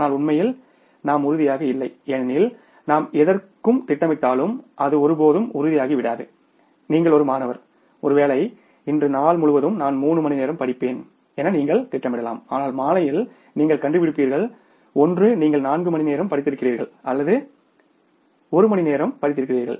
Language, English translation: Tamil, Even if we plan for anything doing daily you are a student and if you may be planning that today I may say for the whole day I will be studying for three hours but in the evening you may find out either you have studied for the four hours or you have studied for one hour